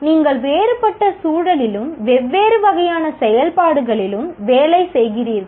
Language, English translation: Tamil, You are working in a different environment and a different kind of activity